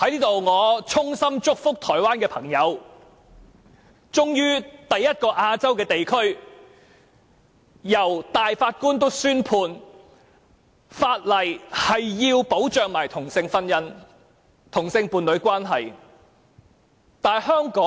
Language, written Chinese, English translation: Cantonese, 我在此衷心祝福台灣的朋友，亞洲終於首次有地區由大法官作出宣判，裁定法例須保障同性婚姻及同性伴侶關係。, Here I would like to extend my best wishes to the people of Taiwan . Finally Justices in an Asian jurisdiction ruled for the first time that the law must protect same - sex marriage and same - sex partnership